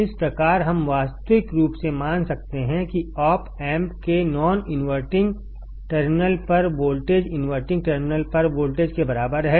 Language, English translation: Hindi, Thus, we can realistically assume that voltage at the non inverting terminal of the op amp is equal to the voltage at the inverting terminal